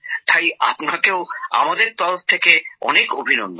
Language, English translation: Bengali, Our congratulations to you on that